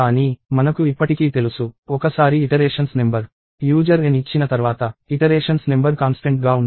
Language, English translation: Telugu, But, we still know that, once the number of iterations – once the user gives n, the number of iterations is fixed